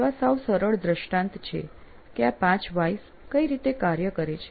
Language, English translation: Gujarati, So that's a simple illustration of how these five ways really work